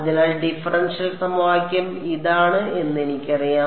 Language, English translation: Malayalam, So, I know that the differential equation is this